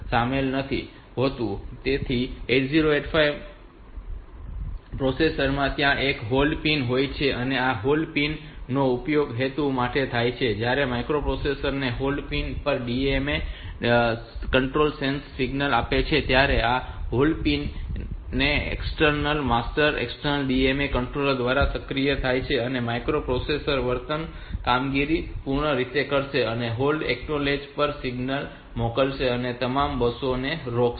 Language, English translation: Gujarati, So, there is a hold pin in the 8085 processor this hold pin is used for this purpose, the DMA controller sensor signal on the hold pin to the microprocessor when this so the hold pin is activated by the external master external DMA controller and the microprocessor will complete the current operation and send a signal on the hold acknowledge and stop the all the buses ok